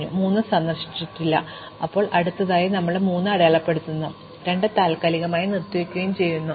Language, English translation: Malayalam, So, we will now mark 3 as visited and suspend 2